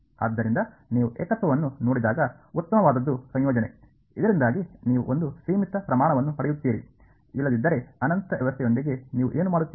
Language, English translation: Kannada, So, when you see a singularity, the best thing is to integrate, so that you get a finite quantity otherwise what do you do with a infinity setting there right